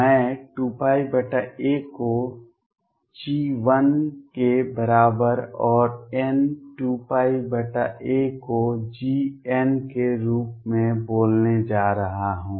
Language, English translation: Hindi, I am going to call 2 pi over a is equal to G 1 and n times 2 pi over a as G n